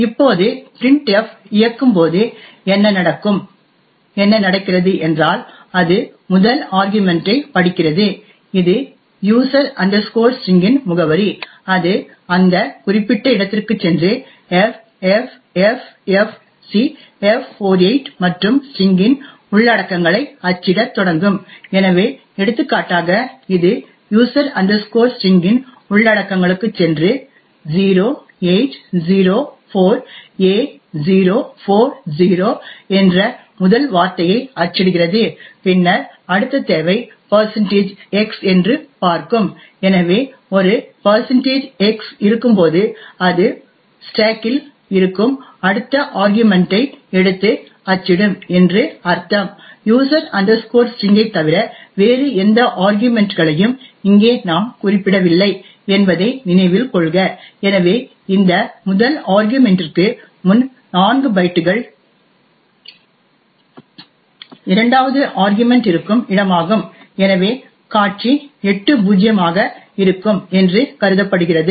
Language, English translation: Tamil, Now when printf executes what happens is that it would read is first argument that is the address of user string, it would go to that particular location ffffcf48 and start to print the contents of the strings, so for example it would go to the contents of user string print the first word which is 0804a040 and then it would see that the next requirement is a %x, so when there is a %x it would mean that it would take and print the next argument which is present on the stack, note that here we have not to specified any arguments to printf besides user string, right and therefore it is assume that 4 bytes prior to this first argument is where the second argument is present and therefore the display would be 00000000